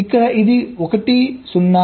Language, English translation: Telugu, then this zero one one